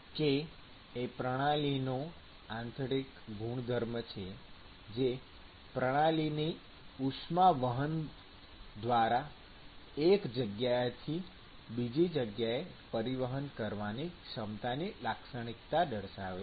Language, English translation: Gujarati, And k is the intrinsic property of the system which characterizes the ability of the system to transfer heat from one location to the other via conduction